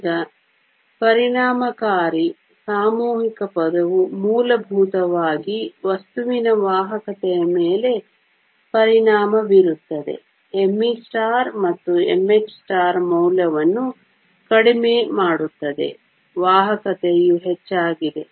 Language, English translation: Kannada, Now, the effective mass term will basically affect the conductivity of the material lower the value of m e star and m h star, higher is the conductivity